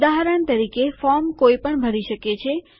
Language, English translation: Gujarati, For example a form someone can fill in